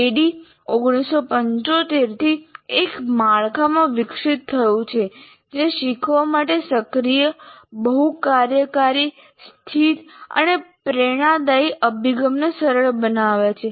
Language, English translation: Gujarati, ADE evolved since 1975 into a framework that facilitates active, multifunctional, situated, and inspirational approach to learning